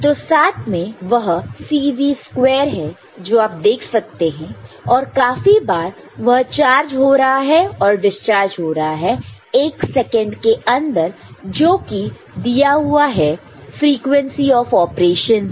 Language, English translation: Hindi, So, together it is C V square that you can see and as many times it is getting charged in, charged and discharged in 1 second given by the frequency of operation right